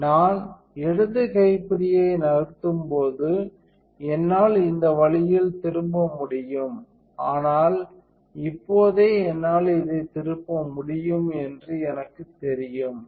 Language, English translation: Tamil, So, when I move the left knob I can turn this way, but I know the right now if I can turn it this way